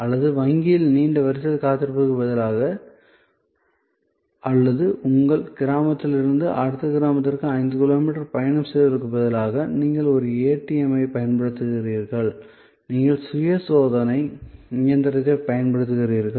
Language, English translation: Tamil, Or, instead of waiting at a long queue at a bank or instead of traveling five kilometers from your village to the next village for accessing the bank teller, you use an ATM, you use the self checking machine